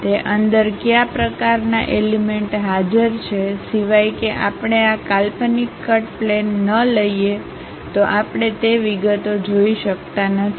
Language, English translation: Gujarati, What kind of elements are present inside of that, unless we take this imaginary cut plane; we cannot really see those details